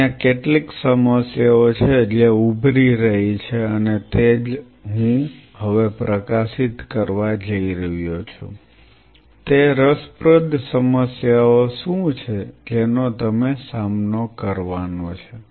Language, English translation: Gujarati, There are certain problems which are going to emerge and that is what I am going to highlight now, what are those interesting problems what you are going to face